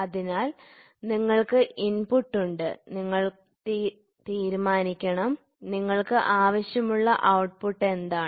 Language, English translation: Malayalam, So, you have input, you want you decide; what is the output you want